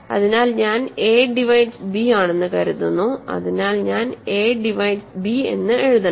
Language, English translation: Malayalam, So, I am assuming a divides b, so, so I should write a divides b